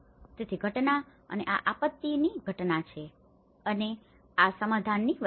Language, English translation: Gujarati, So, between the event and this is event of disaster and this is about settling down